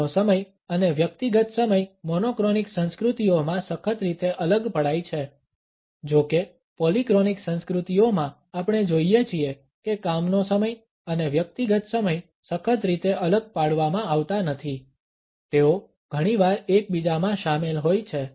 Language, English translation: Gujarati, Work time and personal times are strictly separated in monochronic cultures; however, in polychronic cultures we find that the work time and personal time are not strictly separated they often include in to each other